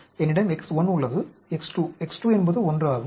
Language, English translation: Tamil, I have X 1, X 2 into X 2 is 1